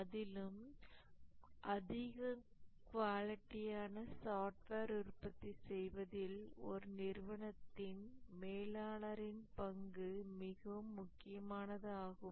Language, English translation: Tamil, And the manager has a very important role in an organization producing quality software